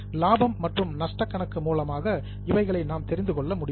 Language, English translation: Tamil, That is what is called as profit and loss account